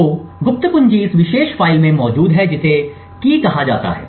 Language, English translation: Hindi, So the secret key is present in this particular file called key